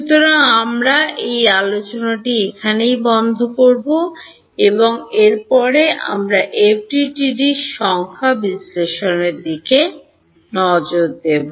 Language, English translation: Bengali, So, we will close this discussion now and next we look at numerical analysis of FDTD